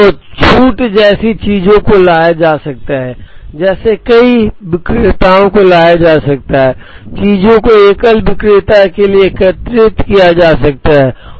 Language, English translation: Hindi, So, things like discount can be brought in, things like multiple vendors can be brought in, things like aggregating items to a single vendor and that can be brought in